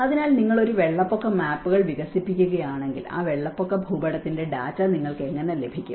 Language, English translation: Malayalam, So, if you are developing an inundation maps, how do you get the data of that inundation map